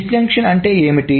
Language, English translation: Telugu, So what is the disjunction